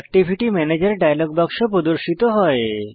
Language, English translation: Bengali, The Activity Manager dialog box appears